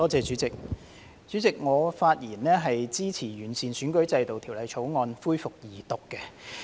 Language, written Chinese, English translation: Cantonese, 主席，我發言支持《2021年完善選舉制度條例草案》恢復二讀辯論。, President I speak in support of the resumption of the Second Reading debate on the Improving Electoral System Bill 2021 the Bill